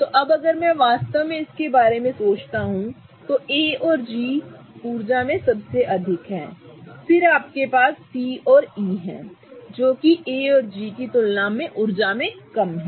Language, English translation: Hindi, So, now if I really think about it, A and G are the highest in energy then you have C and E which are kind of lower in energy compared to A and G